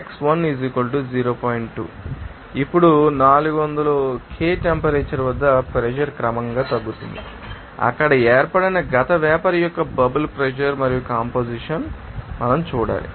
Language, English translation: Telugu, 2 now at this temperature of 400 K you know the pressure is gradually decreased, what is the bubble pressure and composition of the past vapor that is formed there